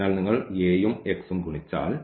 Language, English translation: Malayalam, So, if you multiply this A and this x